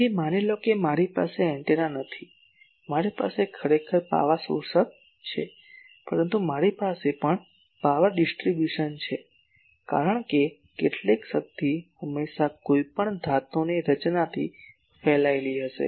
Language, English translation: Gujarati, So, suppose I do not have a good directed ah sorry, I do not have an antenna suppose I have a actually an power absorber , but that me also have a power distribution because some power will always be radiated from any metallic structure